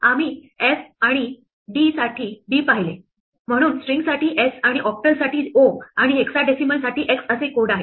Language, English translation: Marathi, We saw f and d, so there are codes like s for string, and o for octal, and x for hexadecimal